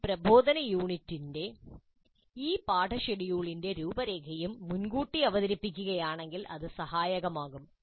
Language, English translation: Malayalam, It would be helpful if an outline of this lesson schedule of this instructional unit is also presented upfront